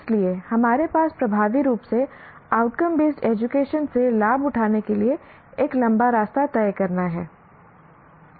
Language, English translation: Hindi, So, we have a long way to go to effectively take advantage, take advantage from the learner perspective of outcome based education